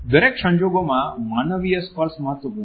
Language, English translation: Gujarati, Human touch is important in every circumstances